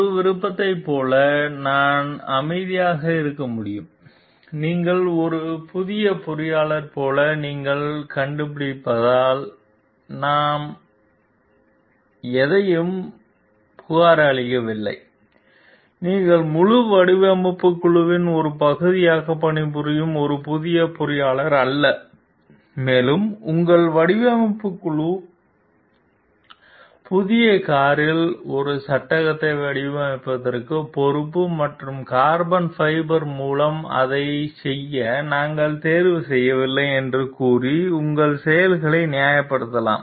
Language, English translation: Tamil, Like one option could be I remain silent, I don t report anything because you find like you are a new engineer you are not very you are a new engineer working as a part of the whole design team and it is a like your; and you find like your design team is responsible for designing a frame of the new car and you can justify your actions telling we didn t select it to be done through carbon fiber